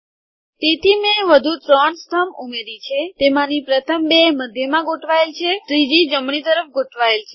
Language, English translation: Gujarati, So I have added three more columns, first two of them are center aligned the third one is right aligned